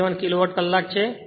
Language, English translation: Gujarati, 17 Kilowatt hour right